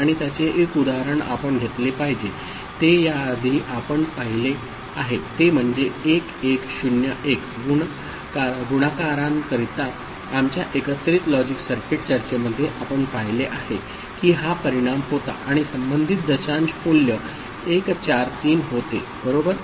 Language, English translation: Marathi, And the example that we shall take is the one which we have seen before that is 1101, in our combinatorial logic circuit discussion for multiplier, and we saw that this was the result and corresponding decimal value was 143 right